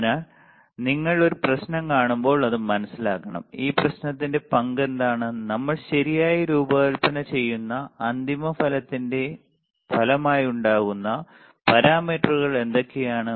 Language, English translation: Malayalam, So, when you see a problem you understand that; what is the role of this problem and how you can what are the parameters that are responsible for the resulting for the final result that we are designing for right